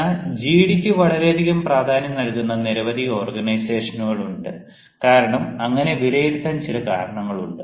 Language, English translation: Malayalam, but then there are many organizations which actually give too much importance to gd because they have certain things to evaluate